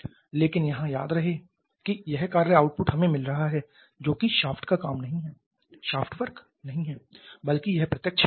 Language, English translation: Hindi, But remember here this work output that we are getting that is not a shaft work rather it is direct electricity